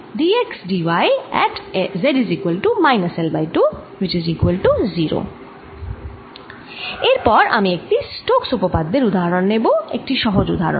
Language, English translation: Bengali, next, i am going to take an example from stokes theorem, a very simple example